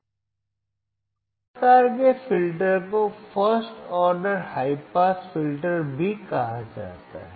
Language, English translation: Hindi, So, this type of filter is also called first order high pass filter